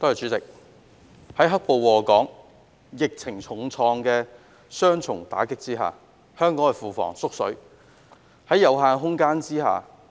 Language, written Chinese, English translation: Cantonese, 主席，在"黑暴"禍港及疫情重創的雙重打擊下，香港的庫房"縮水"。, President our public coffers have shrunk under the double blow of black - clad violence and the epidemic that have been plaguing Hong Kong